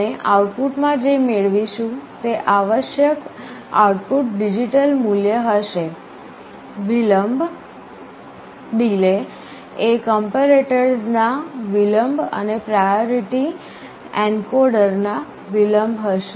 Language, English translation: Gujarati, What we get in the output will be the required output digital value, , the delay will be the delay of a comparator plus delay of the priority encoder